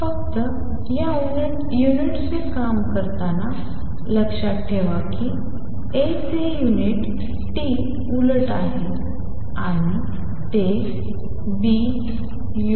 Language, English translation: Marathi, Just keep in mind in working out these units that unit of A are T inverse and that same as B u nu T